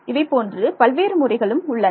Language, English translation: Tamil, Various methods are there